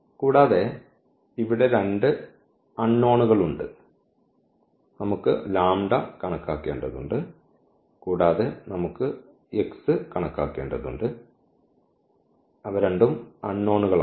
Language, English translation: Malayalam, And, there are two unknowns here, the unknowns are the lambda we need to compute lambda and also we need to compute x